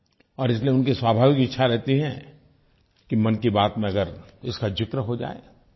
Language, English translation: Hindi, And therefore it is their natural desire that it gets a mention in 'Mann Ki Baat'